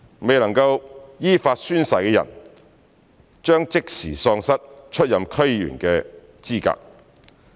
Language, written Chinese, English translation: Cantonese, 未能依法宣誓的人將即時喪失出任區議員的資格。, Those who fail to take an oath in accordance with the law will immediately be disqualified from being DC members